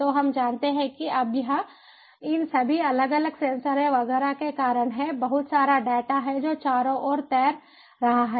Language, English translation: Hindi, so we know that, ah, now, it is because of all this, different sensors, etcetera, etcetera, there is lot of data that is floating all around